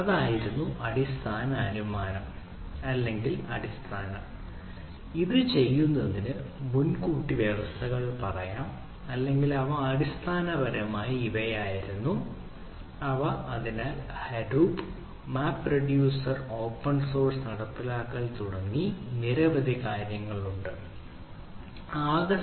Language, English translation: Malayalam, so that was that was the basic ah assumption, or basic, oh, i say, precondition of doing this, or that was basically these what they was taken up, right